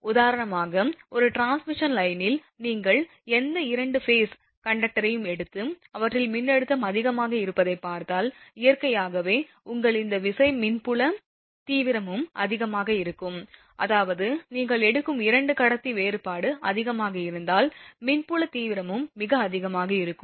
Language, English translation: Tamil, In a transmission line for example, you take any 2 phase conductor and if you see the voltage applied across them is more, then naturally that potential your this thing electric field intensity also will be more, that means, any 2 conductor you take if potential difference is high, then electric field intensity is also very high